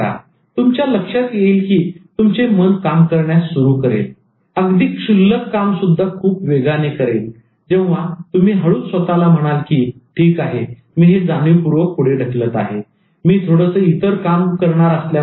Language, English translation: Marathi, Now you will find that your mind will start working and doing the trivial work very fast when you slightly tell you that, okay, I'm procrastinating this consciously but I I am just going to do something else